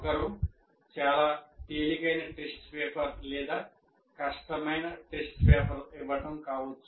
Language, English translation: Telugu, And what happens is one may be giving a very easy test paper or a difficult test paper